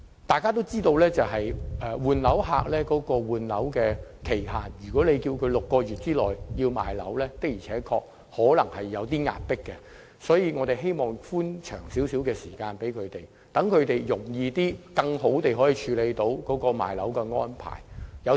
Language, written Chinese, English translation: Cantonese, 大家也知道，在換樓期限方面，要求換樓人士在6個月內出售物業在時間上的確有點緊迫，所以希望可以延長寬限期，讓他們較易並更好地作出出售物業的安排。, As we all know with respect to the time limit for property replacement it is indeed a bit too tight for property owners to sell their properties within six months . It is thus hoped that the grace period could be extended so that flat owners would find it easier to sell their properties and at better prices